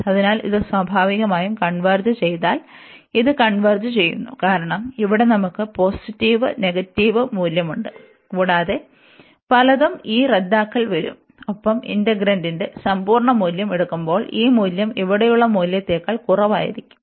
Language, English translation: Malayalam, So, if this converges naturally this converges, because here we have positive negative and many this cancelation will come and this value will be less than the value here with while taking the absolute value of the integrant